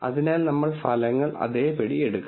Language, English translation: Malayalam, So, we just have to take the results as it is